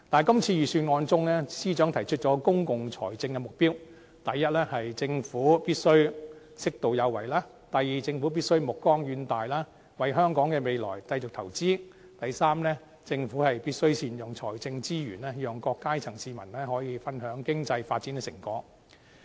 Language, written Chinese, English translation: Cantonese, 今次預算案，司長提出公共財政的目標，第一，政府必須適度有為；第二，政府必須目光遠大，為香港的未來繼續投資；第三，政府必須善用財政資源，讓各階層市民可以分享經濟發展的成果。, First the Government must be appropriately proactive in the development . Second the Government must be forward - looking and invest continuously for the future of Hong Kong . Third the Government must make good use of financial resources so that people from all walks of life can share the fruits of economic advancement